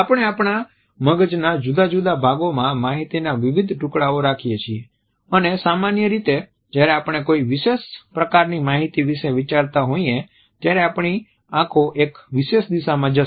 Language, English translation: Gujarati, We hold different pieces of information in different parts of our brain and usually when we are thinking about a particular type of information our eyes will go in one particular direction